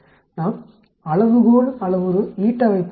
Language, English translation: Tamil, Let us look at the scale parameter eta